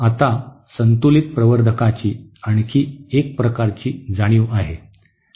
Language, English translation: Marathi, Now, another kind of realization of a balanced amplifier is this